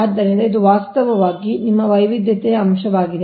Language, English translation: Kannada, so this is actually your diversity factor